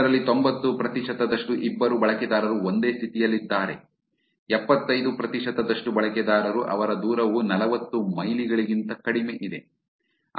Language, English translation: Kannada, 90 percent of that the two users are co located in the same state, 75 percent have their distance which is less than 40 miles